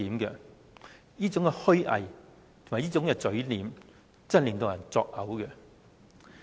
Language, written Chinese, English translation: Cantonese, 這種虛偽和嘴臉，真的令人作嘔。, This kind of hypocrisy and his ugly face really makes me sick